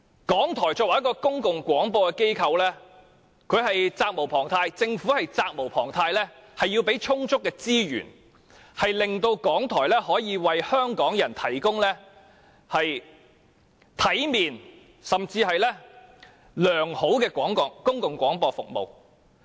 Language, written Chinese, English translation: Cantonese, 港台作為公共廣播機構，政府提供充足的資源是責無旁貸的，從而令港台可以為香港人提供體面甚至是良好的公共廣播服務。, RTHK is a public broadcaster and it is incumbent upon the Government to provide it with sufficient resources so as to enable RTHK to provide decent and even good public broadcasting services